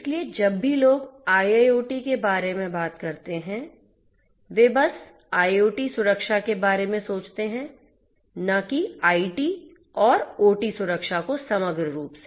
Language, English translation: Hindi, So, whenever people talk about IIoT, they simply think about IoT security not IT and OT security integrated as a whole